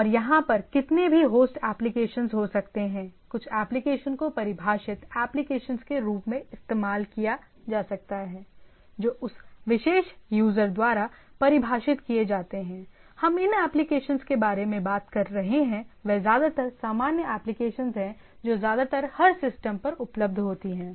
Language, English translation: Hindi, And there are there can be any host of applications some of the applications can be used as defined applications which are defined by that particular user; some of the applications are do whatever the applications we are talking about these are mostly generic applications, mostly available in systems and like that